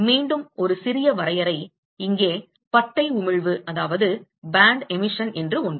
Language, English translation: Tamil, Once again a little bit of definition here something called band emission